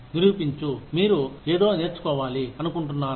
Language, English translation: Telugu, Prove that, you want to learn something